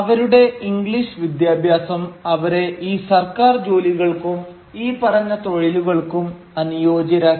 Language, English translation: Malayalam, And their English education made them eminently suitable to take up these government jobs as well as for these professions